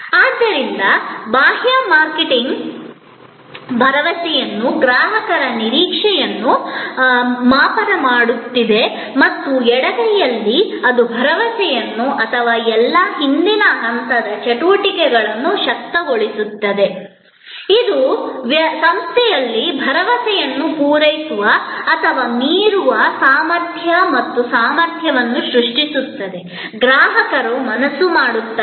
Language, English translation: Kannada, So, the external marketing is making the promise are calibrating the customer expectation and on the left hand side it is enabling the promise or all the back stage activities, that creates the capability and competence for the organization to meet or go beyond the promise in the customers mind